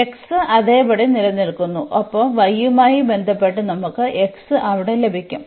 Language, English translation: Malayalam, So, x remain as it is and with respect to y we will get x there